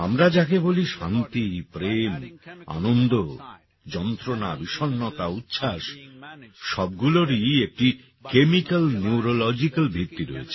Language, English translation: Bengali, What we call as peace, love, joy, blissfulness, agony, depression, ecstasies all have a chemical and neurological basis